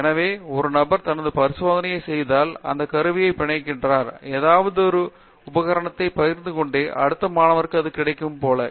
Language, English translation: Tamil, So, if so one person is doing his experiment the equipment gets tied to that experiment which means, like it’s not available for the next student who is sharing that equipment